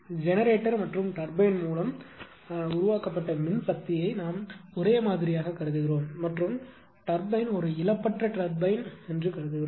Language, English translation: Tamil, We are assuming the power generated by the generator and the turbine it is same and assuming that turbine is a lossless turbine right